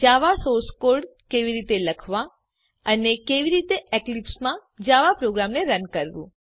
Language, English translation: Gujarati, How to Write a java source code and how to run a java program in Eclipse